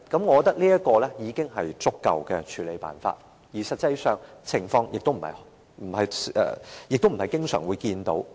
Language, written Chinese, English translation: Cantonese, 我認為這已是足夠的處理辦法，而實際上前述的情況，亦不會經常見到。, To me this is an adequate approach . And in reality the above situation is an uncommon one